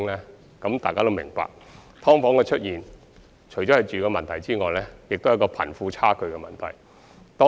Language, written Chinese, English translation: Cantonese, 相信大家也明白，"劏房"的出現除涉及居住問題，亦和貧富差距問題有關。, I think we all understand that apart from the housing problem the emergence of subdivided units can also be attributed to the wealth gap between the rich and the poor